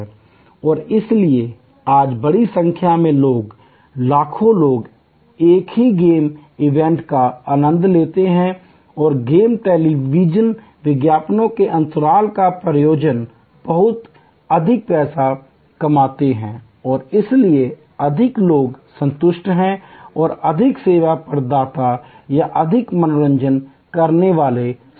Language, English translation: Hindi, And so as a result today large number of people, millions of people enjoy the same game event and the games are lot more money by sponsorship by television ads gaps and on the whole therefore, more people at satisfied and more service providers or more entertainers or enriched